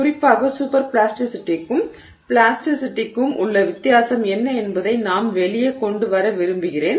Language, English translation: Tamil, In particular I would like to bring out what is the difference between superplasticity and plasticity